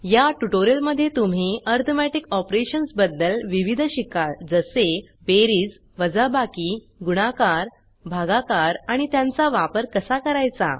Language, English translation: Marathi, In this tutorial, you will learn about the various Arithmetic Operations namely Addition Subtraction Multiplication Division and How to use them